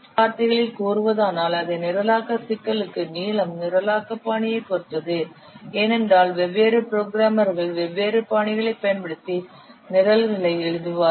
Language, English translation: Tamil, In other words, for the same programming problem, the length would depend on the programming style because different programmers they will write down the programs using different styles